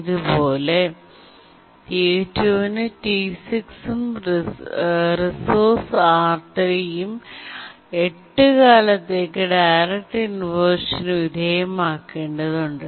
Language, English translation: Malayalam, Similarly T2 has to undergo inversion, direct inversion on account of T6 and resource R3 for a duration of 8